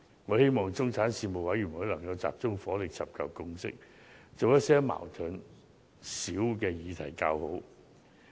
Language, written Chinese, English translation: Cantonese, 我希望中產事務委員會能集中火力尋求共識，以處理一些矛盾較少的議題為佳。, I hope the proposed middle class commission would focus its efforts on seeking consensus to handle less controversial issues